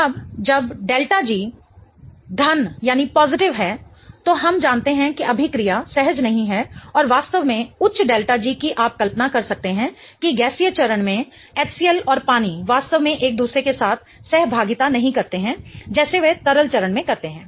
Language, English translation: Hindi, Now, when the delta G is positive, we know that the reaction is not spontaneous and in fact with a really high delta G you can imagine that HCL and water in the gaseous phase do not really interact with each other as vigorously as they do in the liquid phase